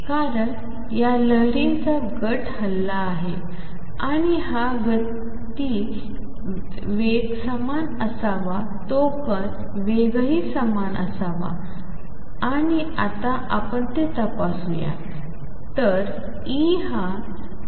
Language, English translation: Marathi, Because the group of waves that has moved and this group velocity should be the same should be the same has the speed of particle and let us check that